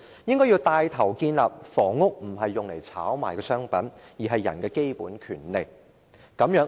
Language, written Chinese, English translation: Cantonese, 政府應該牽頭建立房屋不是炒賣的商品，而是人的基本權利的概念。, The Government should take the lead to establish the concept that housing is not a speculative commodity but the basic right of human beings